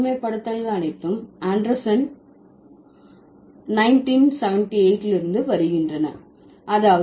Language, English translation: Tamil, All of these, all of the generalizations are coming from Anderson, 1978